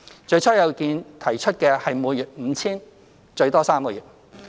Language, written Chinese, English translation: Cantonese, 最初有意見提出的是每月 5,000 元，最多3個月。, At first it was proposed to be a monthly payment of 5,000 for up to three months